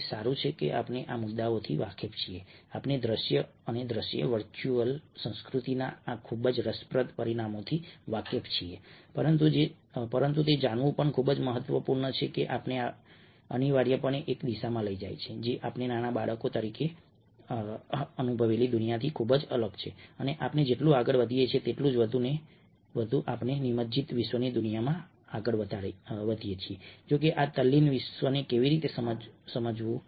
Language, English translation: Gujarati, we aware of these issues, we are aware of these interesting dimensions of visual and from visual, the virtual culture, but it was also important to know that these are leading us innovatively in a direction, ah, which is very, very different from the, the world that ah we experienced as young kids and ah, more we proceed, the more we move in the world of immersive world